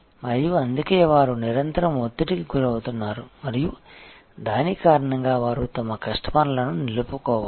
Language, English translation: Telugu, And; that is why they are continuously under pressure and because of that they need to retain their customers